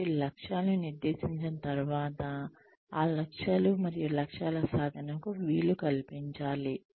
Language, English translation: Telugu, So, once the objectives have been set, then one needs to facilitate the achievement of those goals and objectives